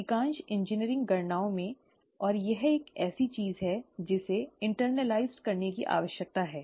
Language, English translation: Hindi, In most engineering calculations, and that is something that needs to be internalized